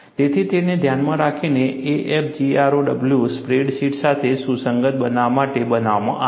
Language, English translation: Gujarati, So, keeping that in mind, AFGROW is made to be compatible with spread sheets